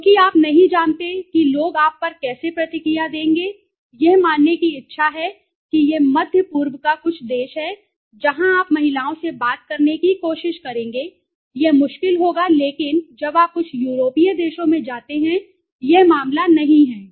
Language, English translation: Hindi, Because you don t know how the people will react to you, willingness to respond suppose it is some of the middle east country where you try to talking to the women it will be difficult but this is not the case when you go to some of the European countries